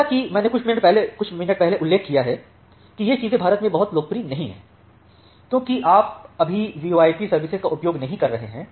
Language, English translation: Hindi, So, as I have mentioned just a couple of minutes back that these things are not very popular in India, because you are not using VoIP services right now